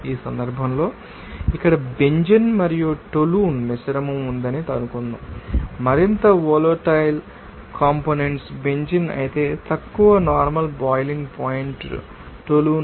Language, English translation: Telugu, Suppose, there is a mixture of Benzene and Toluene here in this case, more volatile component is Benzene whereas, less boiling point component is Toluene